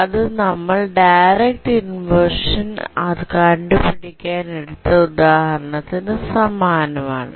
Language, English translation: Malayalam, For an example problem, we had done the analysis for direct inversion